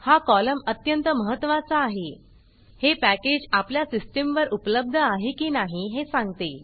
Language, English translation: Marathi, This column is extremely important, it says whether this package is available on your system